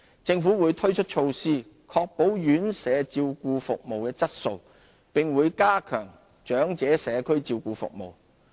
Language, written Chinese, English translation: Cantonese, 政府會推出措施確保院舍照顧服務質素，並會加強長者社區照顧服務。, The Government will introduce measures to ensure the quality of residential care services and enhance community care services for the elderly